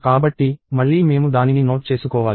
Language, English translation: Telugu, So, again I need to note it down